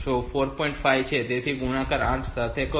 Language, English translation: Gujarati, 5 so multiply 4